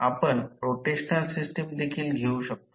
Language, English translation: Marathi, Let us take the rotational system also